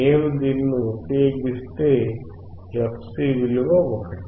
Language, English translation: Telugu, If I use this, value of fc is 1